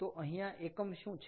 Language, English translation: Gujarati, so what is the unit here